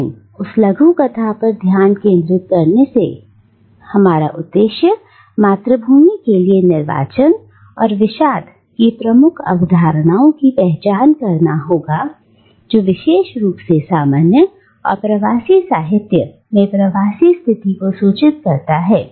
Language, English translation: Hindi, But in focusing on that short story our intention would be to identify the key concepts of exile and nostalgia for the homeland that informs the diasporic condition in general and diasporic literature in particular